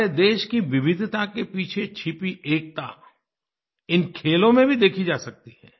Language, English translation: Hindi, The unity, intrinsic to our country's diversity can be witnessed in these games